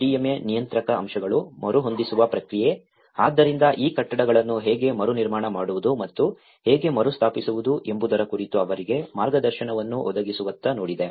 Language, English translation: Kannada, The GSDMA regulatory aspects, the retrofitting process, so it has looked at providing them guidance in how to reconstruct and how to retrofit these buildings